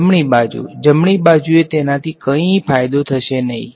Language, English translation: Gujarati, The right hand side, the right hand side nothing much will happen to it